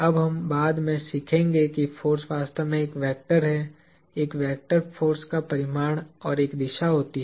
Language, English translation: Hindi, Now, we will learn later on that, force is actually a vector – a vector force has a magnitude and a direction